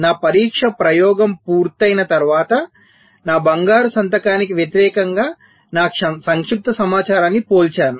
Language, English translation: Telugu, so after my test experiment is done, i compare my compacted information against my golden signature